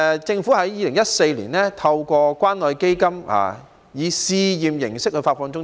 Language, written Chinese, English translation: Cantonese, 政府在2014年透過關愛基金以試驗形式發放津貼。, The Government provided an allowance under the Community Care Fund on a pilot basis in 2014